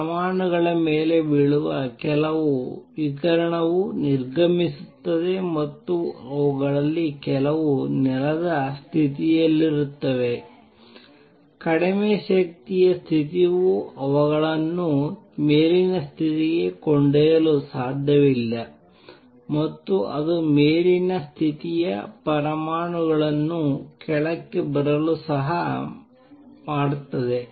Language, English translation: Kannada, Radiation falling on atoms some of which are exited and some of which are in the ground state lower energy state can not only take them to the upper state it can also make the atoms in the upper state come down